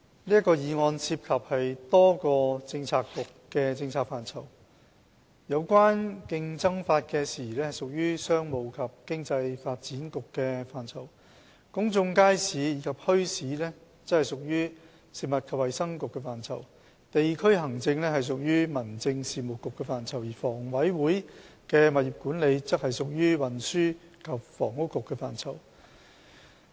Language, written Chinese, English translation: Cantonese, 這項議案涉及多個政策局的政策範疇：有關競爭法的事宜屬於商務及經濟發展局的範疇；公眾街市及墟市屬於食物及衞生局的範疇；地區行政屬於民政事務局的範疇；而香港房屋委員會的物業管理則屬於運輸及房屋局的範疇。, This motion involves the policy areas of a number of Policy Bureaux . The issues relating to the competition law fall within the purview of the Commerce and Economic Development Bureau; those relating to public markets and bazaars fall within the purview of the Food and Health Bureau; those relating to district administration come under the Home Affairs Bureau; and the property management of the Hong Kong Housing Authority HA is within the purview of the Transport and Housing Bureau